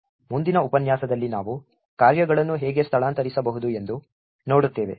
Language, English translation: Kannada, In the next lecture we will see how functions are made relocatable